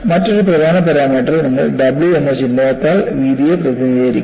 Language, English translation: Malayalam, And another important parameter is, you represent the width by the symbol W